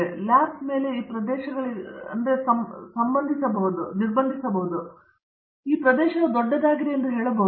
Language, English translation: Kannada, So, this over lap may be restricted to some areas, but I would say that this area by itself is large